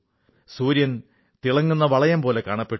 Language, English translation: Malayalam, The sun was visible in the form of a shining ring